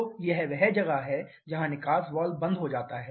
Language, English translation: Hindi, So, this is where the exhaust valve closes